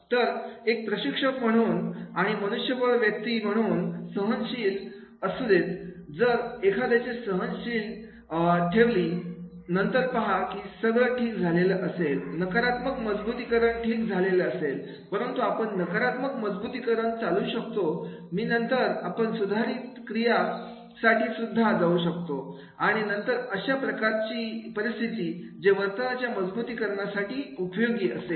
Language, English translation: Marathi, So, I have a patience as a trainer and HR person one has to keep the patience and then see that is the okay, negative reinforcement is okay but can we avoid negative reinforcement and then we can avoid negative reinforcement and then we can go for the corrective action also and then that type of the situation that will help for the reinforcement of the behavior